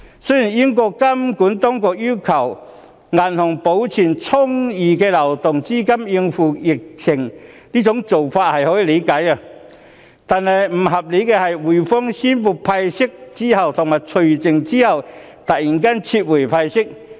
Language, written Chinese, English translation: Cantonese, 雖然英國監管當局要求銀行保存充裕的流動資金應付疫情的做法可以理解，但不合理的是滙豐銀行宣布派息及除淨後突然撤回派息。, While we can understand that the regulatory authority in the United Kingdom requires banks to have sufficient liquidity to cope with the epidemic it is unreasonable for HSBC to suddenly revoke after the ex - dividend date its previous decision to pay dividend